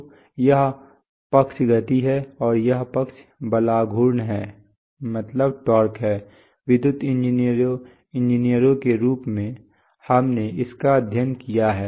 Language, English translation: Hindi, So this side is speed and this side is torque as electrical engineers we have studied this